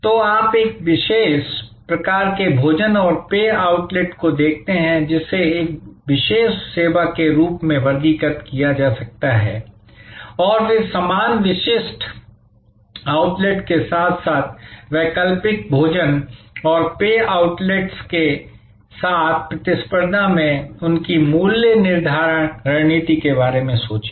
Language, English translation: Hindi, So, you look at a particular type of food and beverage outlet, which can be classified as a specialized service and then, think about their pricing strategy in competition with similar specialized outlets as well as in competition with alternative food and beverage outlets